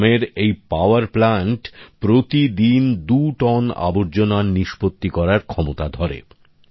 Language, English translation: Bengali, The capacity of this village power plant is to dispose of two tonnes of waste per day